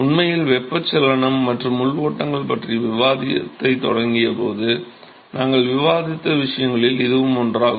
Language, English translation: Tamil, In fact, that is one of the things we discussed when we started the discussion on convection and internal flows